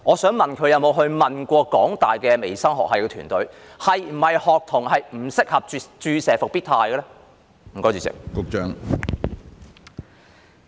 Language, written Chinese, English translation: Cantonese, 局方有否詢問香港大學微生物學系團隊，學童是否不適合注射復必泰呢？, Has the Bureau consulted this team from HKUs Department of Microbiology on whether it is not suitable to administer Comirnaty to students?